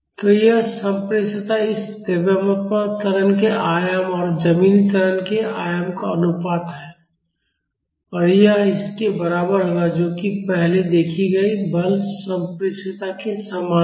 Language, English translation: Hindi, So, the transmissibility here is the ratio of the amplitude of acceleration of this mass divided by the ground acceleration amplitude and that would be equal to this which is exactly same as the force transmissibility we have seen earlier